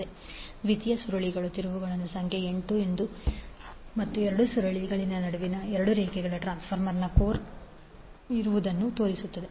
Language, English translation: Kannada, Number of turns in secondary coil as N 2 and the double lines in between two coils shows that the core is present in the transformer